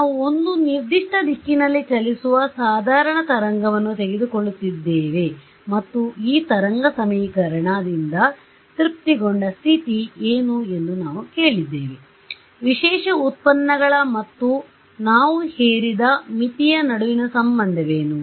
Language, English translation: Kannada, We had taken we are taken up plane wave traveling in a certain direction and we had asked what is the condition satisfied by this wave equation, what was the relation between special derivatives and we had imposed that at the boundary